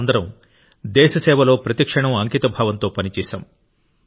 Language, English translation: Telugu, All of us have worked every moment with dedication in the service of the country